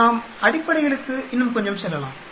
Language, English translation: Tamil, Let us go slightly more into the fundamentals